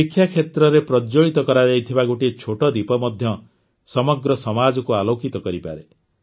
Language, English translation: Odia, Even a small lamp lit in the field of education can illuminate the whole society